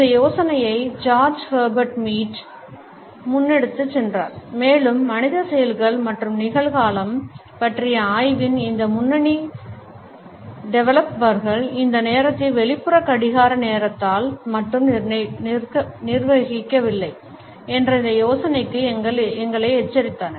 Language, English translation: Tamil, The idea was also carried forward by George Herbert Mead and these leading developers of the study of human acts and presentness alerted us to this idea that the time is not governed only by the external clock time